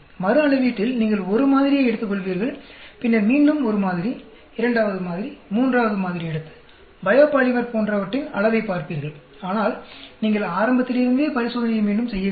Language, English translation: Tamil, Whereas in repeated measurement you take one sample, then again another, take a second sample, third sample, and looking at the amount of say biopolymer, but you are not repeating the experiment from the beginning